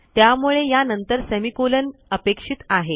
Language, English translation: Marathi, Now why are we expecting a semicolon